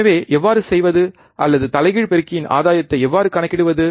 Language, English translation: Tamil, So, how to perform or how to calculate the gain of an inverting amplifier